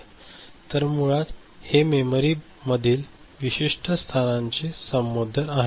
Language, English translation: Marathi, So, basically these are the addressing of a particular location in the memory block